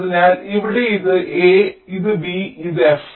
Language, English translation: Malayalam, so here this is a, this is b and this is f